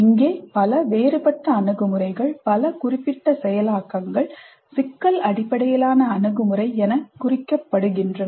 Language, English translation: Tamil, Here also several different approaches, several different specific implementations are tagged as problem based approach